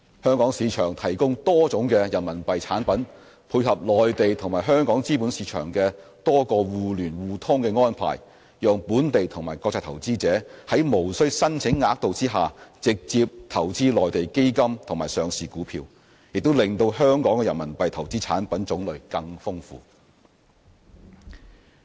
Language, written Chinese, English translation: Cantonese, 香港市場提供多種人民幣產品，配合內地和香港資本市場的多個互聯互通安排，讓本地及國際投資者在無需申請額度下直接投資內地基金及上市股票，亦令香港的人民幣投資產品種類更豐富。, A number of RMB products are currently available in the Hong Kong market and together with the arrangements to maintain the mutual access of Hong Kong and the Mainland capital markets local and international investors can invest directly in Mainland funds and listed stocks without the need to apply for any quotas . This has also helped to provide a diversified choice of RMB investment products